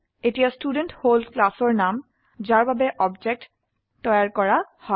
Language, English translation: Assamese, Here, Student is the name of the class for which the object is to be created